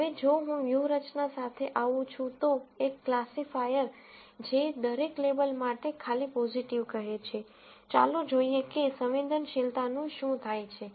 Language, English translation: Gujarati, Now, if I come up with a strategy, a classifier, which simply says positive for every label, let us see what happens to sensitivity